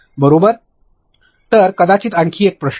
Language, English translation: Marathi, So, probably one more question